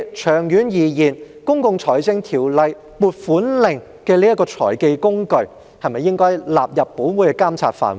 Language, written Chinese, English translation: Cantonese, 長遠而言，《公共財政條例》"撥款令"這種財技工具，是否亦應納入本會的監察範圍？, In the long run should allocation warrant issued under the Public Finance Ordinance a tool for playing the financial trick also fall within the scope of monitoring by this Council?